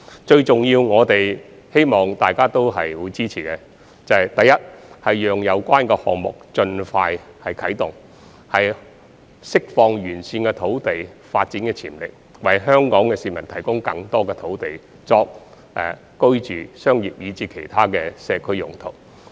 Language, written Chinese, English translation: Cantonese, 最重要的是，希望大家也會支持，第一，讓有關項目盡快啟動，以釋放沿線土地的發展潛力，為香港市民提供更多土地作居住、商業以至其他社區用途。, Most importantly it is hoped that Members will support firstly the expeditious commencement of the project to unleash the development potential of the land along the railway lines so that more land can be made available to the people of Hong Kong for residential commercial and other community purposes